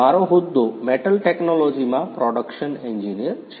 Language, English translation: Gujarati, My designation is production engineer in metal technology